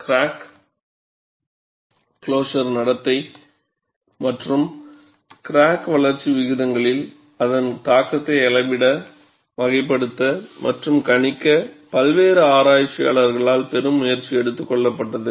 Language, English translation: Tamil, A great deal of effort has been taken by various researchers to measure, characterize and predict crack closure behavior, and its effect on crack growth rates